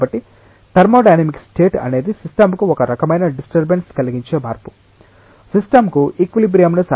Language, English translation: Telugu, So, thermodynamic state is a change that imposes a kind of disturbance to the system, system requires the time to attain equilibrium